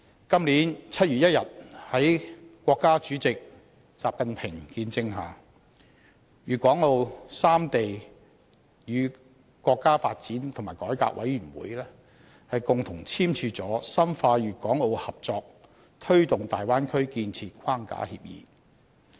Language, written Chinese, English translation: Cantonese, 今年7月1日在國家主席習近平的見證下，粵港澳三地與國家發展和改革委員會共同簽署了《深化粵港澳合作推進大灣區建設框架協議》。, On 1 July this year under the witness of State President XI Jinping the governments of Guangdong Hong Kong and Macao signed the Framework Agreement on Deepening Guangdong - Hong Kong - Macao Cooperation in the Development of the Bay Area